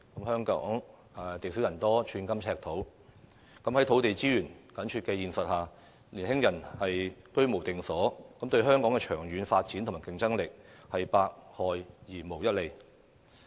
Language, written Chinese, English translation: Cantonese, 香港地少人多，寸金尺土，在土地資源緊絀的現實下，年輕人居無定所，對香港的長遠發展和競爭力是百害而無一利的。, Owing to the scarcity of land and large population in Hong Kong there is an acute shortage of land resources . When young people do not have a permanent home it is definitely detrimental to the long - term development and competitiveness of Hong Kong